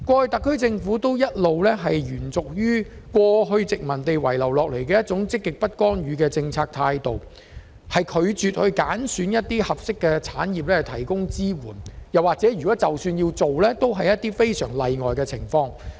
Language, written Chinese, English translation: Cantonese, 特區政府過去一直延續殖民地政府遺留的"積極不干預"政策態度，拒絕揀選一些合適產業以提供支援，又或是只在非常例外的情況下才揀選產業。, The SAR Government has all along followed the positive non - intervention policy inherited from the former colonial Government and refused to identify appropriate industries and support their development . Or it may do so only under very exceptional circumstances